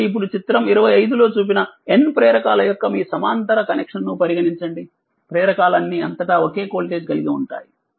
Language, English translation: Telugu, So, now consider the your parallel connection of N inductors that shown in figure 25, the inductor have the same voltage your across them